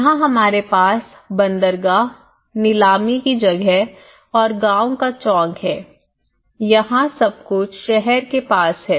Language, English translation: Hindi, We have the harbour here, you have the auction place here, you have the village square here everything is near to the city